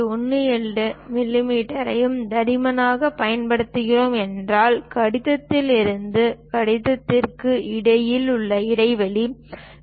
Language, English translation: Tamil, 18 millimeters as the thickness, then the gap between letter to letter supposed to be 0